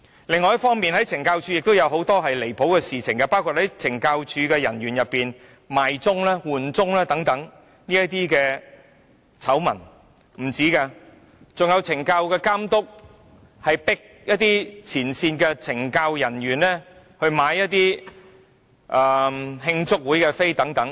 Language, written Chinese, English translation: Cantonese, 另一方面，懲教署本身亦曾發生很多離譜的事情，包括出現懲教署人員"賣鐘"、"換鐘"等醜聞，還有懲教署監督強迫前線懲教署人員購買慶祝會門票等。, Besides CSD itself is also involved in many outrageous incidents including the scandal involving the sale and exchange of shifts among CSD personnel for monetary gains . And some SCSs have even forced front - line CSD personnel to buy tickets for celebration banquets